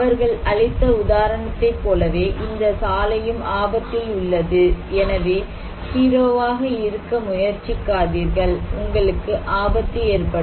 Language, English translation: Tamil, Like the example they have given that, this road is in danger, so do not be flamboyant, do not try to be hero, you will be at risk